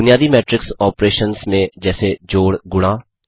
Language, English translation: Hindi, Do basic matrix operations like addition,multiplication